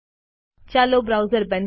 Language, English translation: Gujarati, Lets close this browser